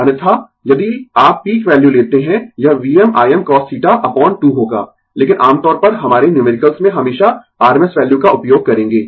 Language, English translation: Hindi, Otherwise, if you take the peak value, it will be V m I m cos theta upon 2, but generally we will use always rms value in our numerical right